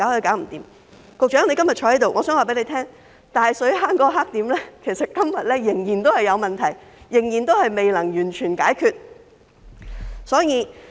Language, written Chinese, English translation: Cantonese, 藉着局長今天在席，我想告訴他，大水坑那個黑點，今天仍然有問題，仍然未能完全解決。, As the Secretary is here today I would like to tell him that the blackspot in Tai Shui Hang is still a problem today and has not been completely solved